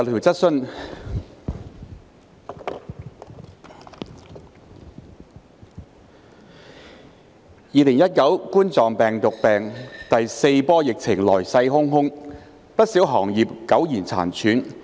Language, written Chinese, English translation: Cantonese, 主席 ，2019 冠狀病毒病第四波疫情來勢洶洶，不少行業苟延殘喘。, President with the fourth wave of the Coronavirus Disease 2019 epidemic coming inexorably quite a number of industries are operating for mere survival